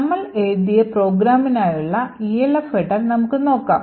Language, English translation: Malayalam, So let us see the Elf header for our program that we have written